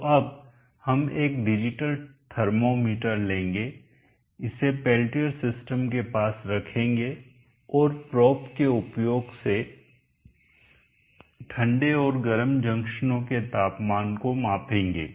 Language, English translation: Hindi, 5 amps, so now we will take a digital thermometer place it near the peltier system and use the probe to measure the temperatures the cold and the hot junctions